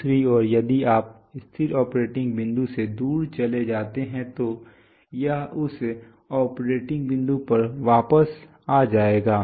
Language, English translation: Hindi, On the other hand if you, from the stable operating point if it moves away it is going to come back to that operating point